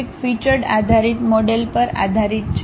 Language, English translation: Gujarati, And this software is basically based on parametric featured based model